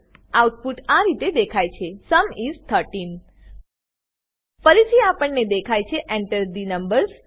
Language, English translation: Gujarati, The output is displayed as Sum is 13 Again we see Enter the numbers